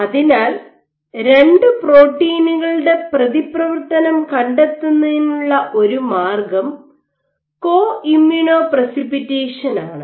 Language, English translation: Malayalam, So, one way to go about it to find out the interaction of 2 proteins is using Co Immuno Precipitation